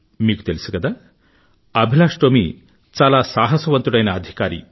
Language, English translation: Telugu, You know, AbhilashTomy is a very courageous, brave soldier